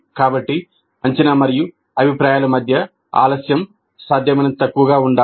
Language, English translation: Telugu, So the delay between assessment and feedback must be as small as possible